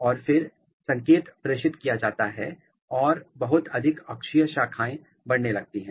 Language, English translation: Hindi, And, then the signal is being transmitted and lot of axillary branches they started growing